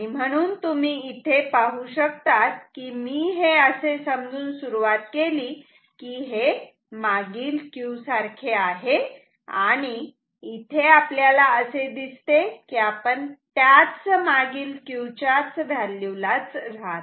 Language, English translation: Marathi, So, you see I started with the assumption that this is equal to Q previous and I landed up with the fact that this stays with at the same value Q previous